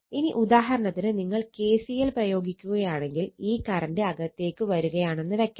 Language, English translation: Malayalam, Now, if you apply for example, we will come to that, but am telling you if you apply KCL let this current is coming right in coming